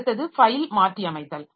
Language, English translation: Tamil, Then file modification